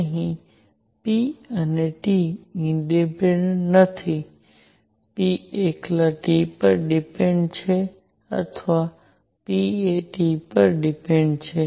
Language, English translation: Gujarati, Here p and T are not independent, p depends on T alone or p depends on T